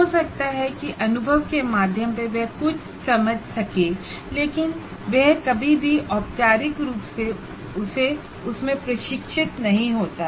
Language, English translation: Hindi, Some of those experiences, maybe through experience he may understand something, but is never formally trained in that